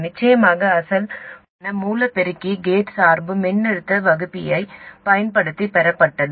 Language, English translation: Tamil, And of course the original common source amplifier, the gate bias was derived using a voltage divider